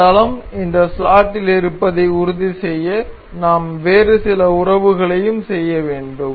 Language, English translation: Tamil, To make sure this plane remains in the this slot we need to make some other relation as well